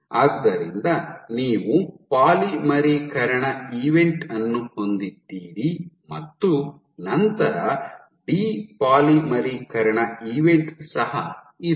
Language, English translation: Kannada, So, you have a polymerization event followed by depolymerization event